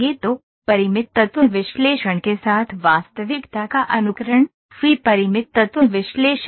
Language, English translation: Hindi, So, simulating reality with Finite Element Analysis, FEA is Finite Element Analysis